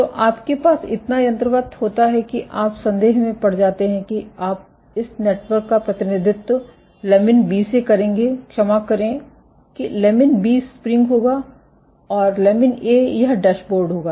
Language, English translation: Hindi, So, you have so mechanically you would risk you would represent this network to a lamin B would, sorry lamin B would be the spring and lamin A would be this dashboard